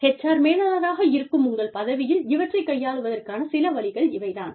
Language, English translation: Tamil, These are some of the ways of coping with this, in your role as an HR manager